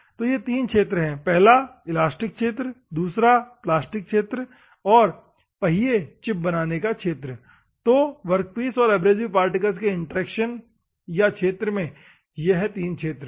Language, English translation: Hindi, So, these are the three regions; one is an elastic, plastic region and chip formation region; these are the three regions in the workpiece and abrasive particle interaction or regions